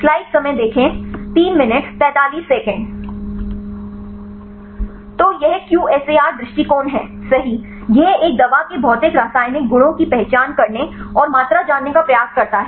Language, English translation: Hindi, So, this QSAR approach right it try identify and quantify the physicochemical properties of a drug right